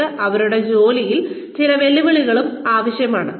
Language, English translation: Malayalam, They also need some challenge in their jobs